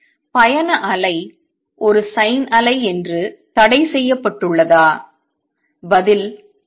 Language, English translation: Tamil, Is travelling wave restricted to being A sin wave the answer is no